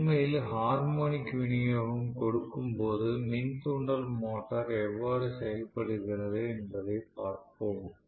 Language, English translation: Tamil, We will look at how the induction motor behaves when I am actually feeding it with harmonic rich supplies